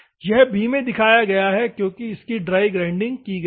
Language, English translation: Hindi, It is observed in the b, this is one done because it is done the dry grinding